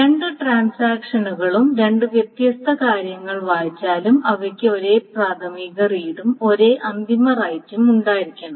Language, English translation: Malayalam, Otherwise, even if the two transactions rate the two different things, then they must have the same initial read and the same final right